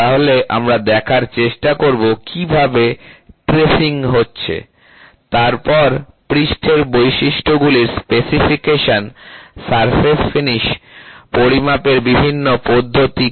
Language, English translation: Bengali, So, we will try to see how are the tracing happening, then specification of surface characteristics, what are the different methods of measuring surface finish